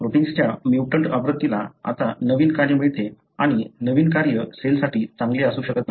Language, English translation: Marathi, The mutant version of the protein now gains a novel function and the novel function could be not good for the cell